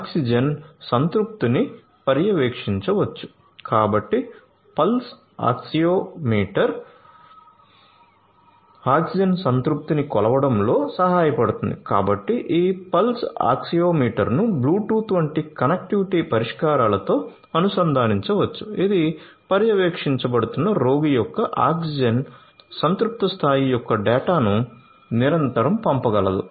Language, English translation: Telugu, So, Pulse Oxiometry can help in measuring the oxygen saturation and you know so this Pulse Oxiometry could be integrated with connectivity solutions such as Bluetooth which can send continuously the data of the oxygen saturation level of the patient who is being monitored